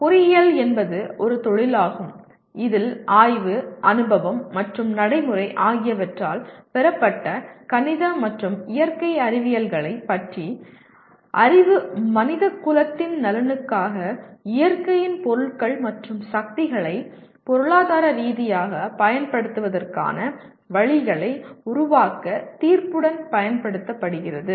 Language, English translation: Tamil, Engineering is a profession in which a knowledge of the mathematical and natural sciences gained by study, experience and practice is applied with judgment to develop ways to utilize economically the materials and forces of nature for the benefit of mankind